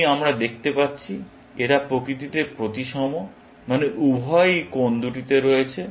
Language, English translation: Bengali, This, we can see, is symmetric in nature, that both are at two corners